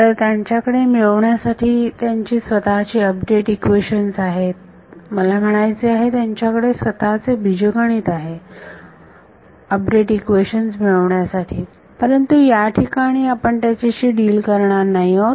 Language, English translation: Marathi, So, they have their own update equations to get I mean they have their own algebra to get an update equation, but we will not deal with that in this